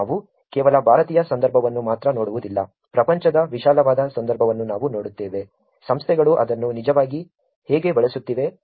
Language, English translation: Kannada, We will not just look at only Indian context, we will also look at broader context in the world, how organizations are actually using it